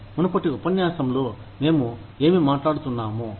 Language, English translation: Telugu, What we were talking about, in the previous lecture